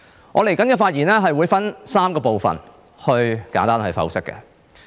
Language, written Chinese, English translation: Cantonese, 我的發言將會分為3部分，以作簡單剖析。, I will divide my speech into three parts to briefly examine this issue